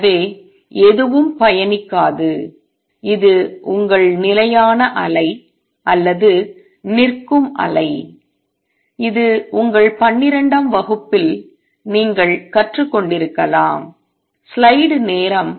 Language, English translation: Tamil, So, nothing travels this is a stationary wave or standing wave as you may have learnt in your twelfth grade